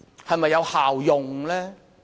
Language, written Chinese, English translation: Cantonese, 是否有效用呢？, Can we achieve more effectiveness?